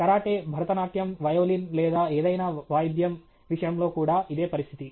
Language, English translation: Telugu, The same is the case with karate, Bharatanatyam, whatever, okay violin or any instrument or whatever